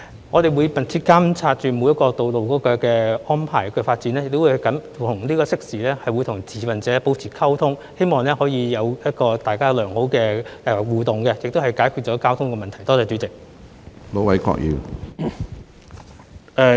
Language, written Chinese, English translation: Cantonese, 我們會密切監察每條道路的安排和發展，亦會適時與持份者保持溝通，希望大家可以良好互動，從而解決交通問題。, We will closely monitor the arrangements and development of each road . We will also maintain communication with stakeholders in a timely manner in the hope that traffic issues can be resolved through positive interactions among various parties